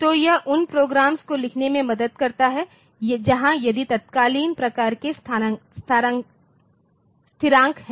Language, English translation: Hindi, So, this helps in writing programs where with the if then else type of constants